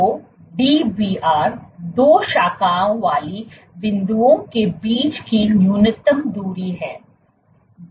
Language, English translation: Hindi, So, Dbr is the minimum distance between two branching points